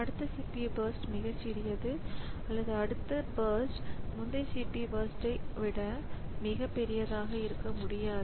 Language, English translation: Tamil, So, it cannot be that the next CPU burst is very small or the next CPU burst is a much much larger than the, than the original, than the previous CPU burst